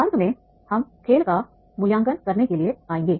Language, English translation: Hindi, , we will come to the evaluating the game